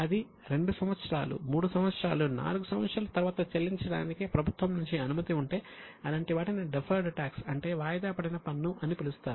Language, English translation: Telugu, If they are allowed to be paid after 2 years, 3 years, 4 years, something like that, they would be called as deferred tax